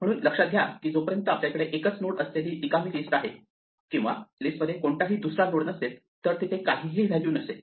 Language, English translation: Marathi, So, notice that unless we have an empty list with a single node none, none no other node in a list can have value none, right